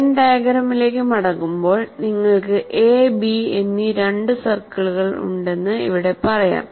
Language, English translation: Malayalam, So getting back to when diagram, let's say here you have two circles, A and B, and then this is A union B